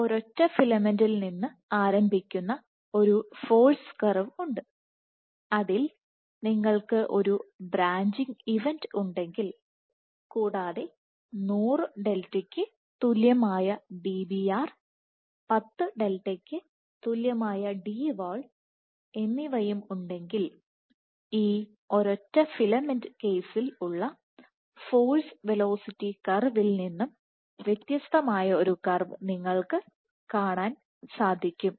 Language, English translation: Malayalam, So, you have a force curve for a single starting from a single filament, if you have one branching event you will begin to see for Dbr equal to 10 delta, Dbr equal to 100 delta and Dwall equal to 10 delta you will get a divergence of the force velocity curve from this single filament case